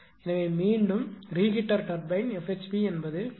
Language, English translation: Tamil, So, for non reheat turbine F HP is 1